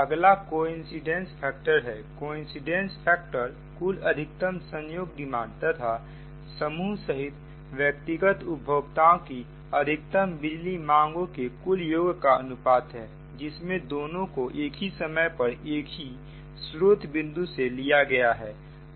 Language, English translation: Hindi, coincidence factor, it is the ratio of the maximum coincident total demand of a group of consumers to the sum of the maximum power demands of individual consumers comprising the group, both taken at the same point of supply for the same time